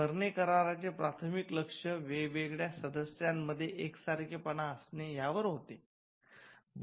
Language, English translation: Marathi, The Berne conventions primary focus was on having uniformity amongst the different members